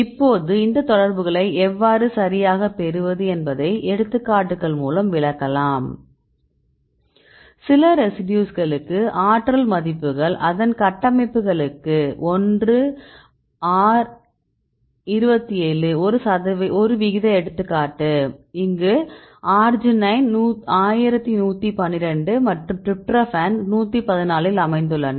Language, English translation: Tamil, So, here these are the values the energy values some residues the energy values and if you look into these structures for example ratio one example in 1R27, this arginine 1112 and this is a tryptophan 144